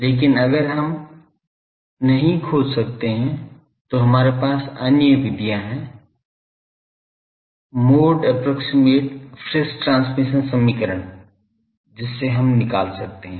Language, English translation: Hindi, But if we cannot find then we have other methods mode approximate friis transmission equation by which we can find